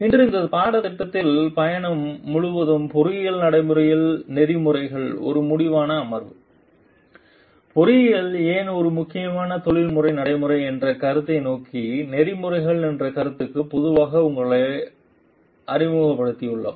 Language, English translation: Tamil, Today is a concluding session of ethics in engineering practice throughout the journey of this course we have introduced you slowly to the concept of ethics towards the concept of why engineering is an important professional practice